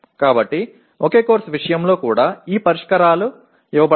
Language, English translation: Telugu, So these solutions are also given in case of the same course